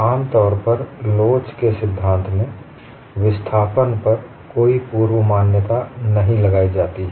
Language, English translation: Hindi, In theory of elasticity, no prior assumption on displacement is usually imposed